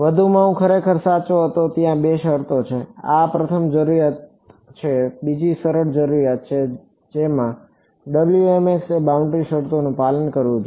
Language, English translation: Gujarati, In addition I was actually right there are two conditions, this is the first requirement second is the easier requirement which is that Wmx must obey the boundary conditions